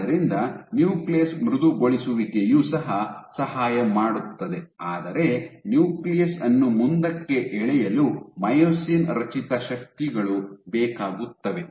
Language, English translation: Kannada, So, even the nucleus softening helps you still require myosin generated forces to pull the nucleus forward ok